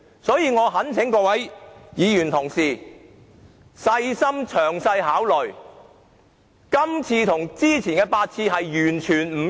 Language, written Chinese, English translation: Cantonese, 所以，我懇請各位議員細心詳細考慮，這次的要求與之前8次完全不同。, As such I call on Members to give careful and detailed consideration to the fact that this request is completely different from the previous eight requests